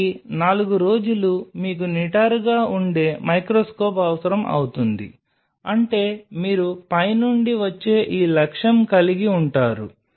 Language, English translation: Telugu, So, 4 dag you will be needing an upright microscope means, you have this objective which is coming from the top